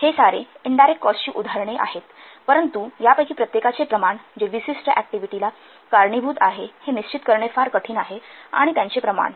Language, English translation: Marathi, These are examples of indirect cost, but it is very much difficult to determine the proportion of each of these which are activatable to a specific activity